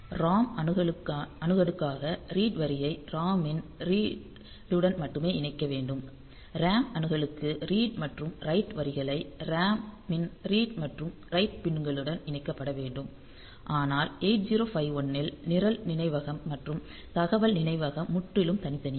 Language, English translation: Tamil, So, for ROM access only the read line should be connected to the read of the ROM for the RAM access the read and write lines have to be connected to the read and write pins of the RAM, but in case of 8051 since program memory and data memory are totally separate